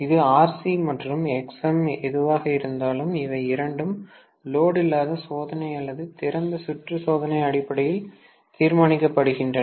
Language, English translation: Tamil, That is whatever is my Rc and Xm, that is it, these two are determined based on my no load test or open circuit test